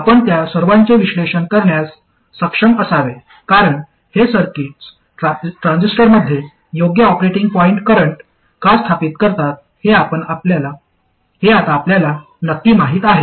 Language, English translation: Marathi, You should be able to analyze all of them because now you know exactly why these circuits establish the correct operating point current in the transistor